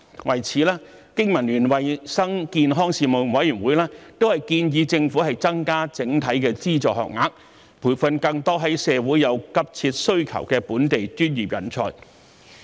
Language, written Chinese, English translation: Cantonese, 為此，經民聯衞生健康事務委員會建議政府增加整體的資助學額，培訓更多社會有急切需求的本地專業人才。, For this reason the Committee suggested that the Government should increase the overall number of funded places to train more local professionals for which there is a keen demand in society